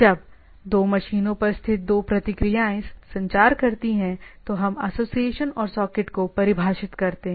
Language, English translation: Hindi, So, when two process located on the same machine to communicate we defined a association defined a association and a socket